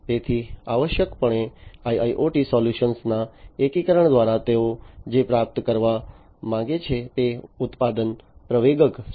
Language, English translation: Gujarati, So, essentially through the integration of IIoT solution what they want to achieve is the production acceleration